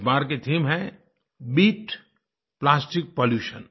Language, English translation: Hindi, This time the theme is 'Beat Plastic Pollution'